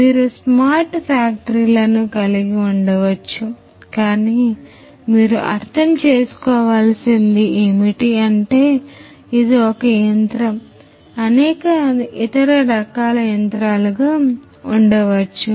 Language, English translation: Telugu, So, you can have smart factories, but as you can understand that this is one machine like this there could be several, several other different types of machines